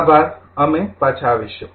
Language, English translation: Gujarati, Ok Thank you we will be back again